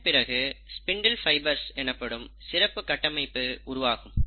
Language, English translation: Tamil, And then, there is a special structure formation taking place called as the spindle fibres